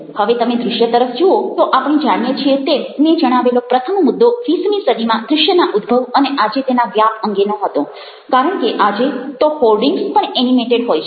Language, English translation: Gujarati, now, visuals, ah, if you looking at visuals, we find that the first point i made was about the raise of the visuals in the twentieth century and its pervasiveness today, because even the odings today are animated